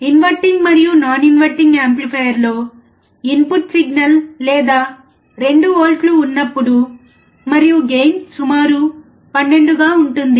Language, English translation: Telugu, When the input signal in inverting and non inverting amplifier, or 2 volts and the gain was about 12